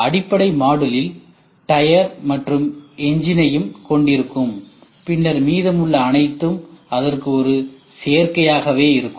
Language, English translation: Tamil, Basic module will have tyre will have all the other engine everything it will have and then it will say that the rest all things whatever we do will be an add on to it